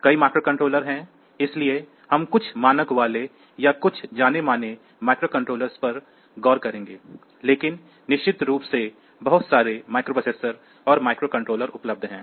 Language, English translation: Hindi, So, you can consider it as computers there are several microcontrollers so we will look into some of the standard ones or some of the well known microcontrollers, but of course, there are so many different microprocessors and microcontrollers are available